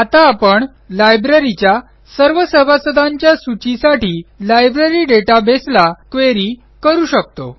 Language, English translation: Marathi, Now we can query the Library database for all the members of the Library